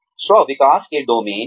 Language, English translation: Hindi, Domains of self development